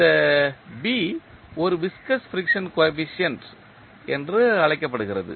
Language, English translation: Tamil, This B is called a viscous friction coefficient